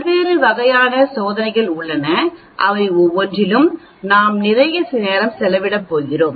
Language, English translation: Tamil, There are different types of test that are possible and we are going to spend lot of time on each one of them actually